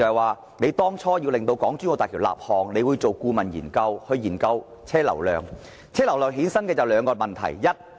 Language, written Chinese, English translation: Cantonese, 為了把港珠澳大橋列為建設項目，政府須就車流量進行顧問研究，因而衍生兩個問題。, In order to put HZMB on the list of construction projects the Government must conduct a consultancy study on vehicle flow volume . Two issues will then arise